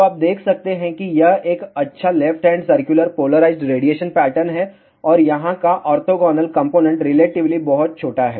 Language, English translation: Hindi, So, you can see that it is a good left hand circularly polarized radiation pattern and the orthogonal component here is relatively very very small